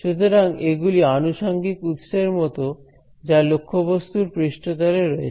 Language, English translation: Bengali, So, these are like secondary sources that are on the surface of the object right